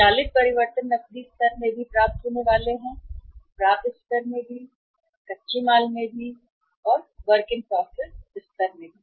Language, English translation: Hindi, Automatic change is going to be there in the cash level also, in the receivables level also, in the raw material level also, and in the WIP level also